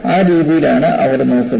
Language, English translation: Malayalam, That is the way they look at, look at it